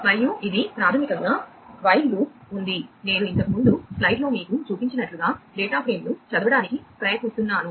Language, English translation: Telugu, and this is basically you know there is a while loop trying to read the data frame as I was showing you in the slide earlier